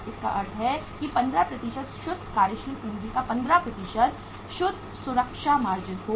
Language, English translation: Hindi, It means 15% net uh safety margin of 15% of net working capital